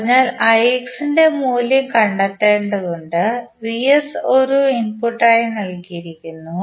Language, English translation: Malayalam, So, we need to find the value of ix and vs is given as an input